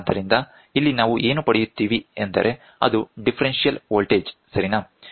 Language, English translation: Kannada, So, something like so here what we get is a differential voltage, ok